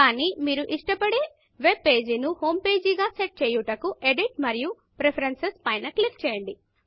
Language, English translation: Telugu, But to set your own preferred webpage as Homepage, click on Edit and Preferences